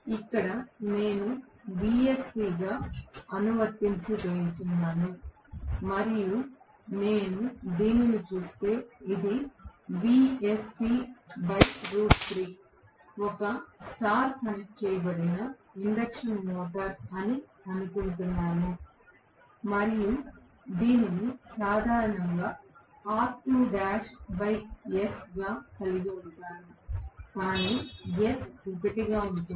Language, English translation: Telugu, Here, is what I am applying as vsc and if I look at this is vsc by root 3 in fact if I assume this is a star connected induction motor and I am going to have this as normally r2 dash by s but s is 1